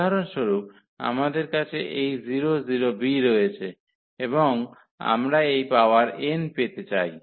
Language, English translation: Bengali, So, for instance we have this a 0 0 b and we want to get this power n there